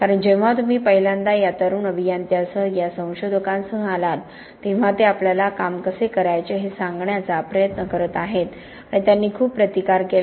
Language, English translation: Marathi, Because when you first came along these young engineers, these researchers, they are trying to tell us how to do our job and they were very resistant